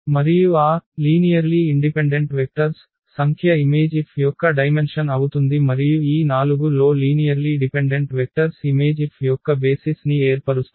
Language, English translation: Telugu, And the number of those linearly independent vectors will be the dimension of the image F and those linearly independent vectors among all these 4 will form basis of the image F